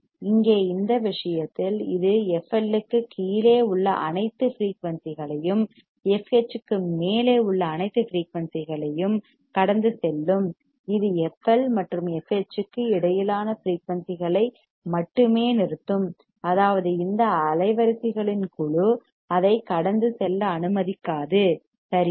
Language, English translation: Tamil, Here in this case it will pass all the frequencies below F L and all the frequencies above F H it will only stop the frequencies between F L and f H; that means, this band of frequencies it will not allow to pass right